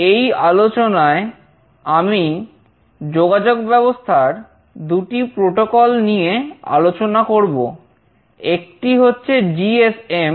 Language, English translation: Bengali, In this lecture, I will be discussing about two communication protocols, one is GSM and another is Bluetooth